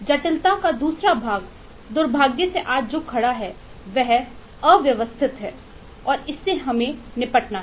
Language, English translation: Hindi, the other part of the complexity, unfortunately, as it stands today, is disorganized and that has to deal with us